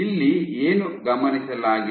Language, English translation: Kannada, So, what has been observed